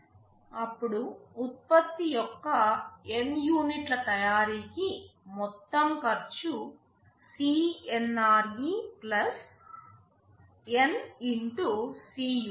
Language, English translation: Telugu, Then for manufacturing N units of the product the total cost will be CNRE + N * Cunit